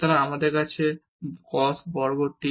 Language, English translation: Bengali, So, we have cos square t